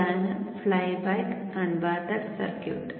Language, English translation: Malayalam, This is the flyback converter circuit